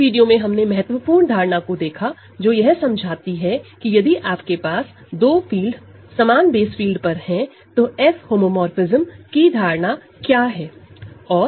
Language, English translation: Hindi, So, in this video we have looked at a very important notion which describe to us when you have two fields above the same base field F, what is the notion of F homomorphism